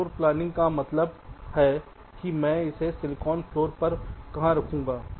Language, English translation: Hindi, floor planning means approximately where i will place it on the silicon floor